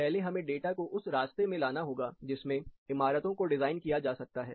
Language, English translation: Hindi, So, first we have to get them onto the way, in which, buildings can be designed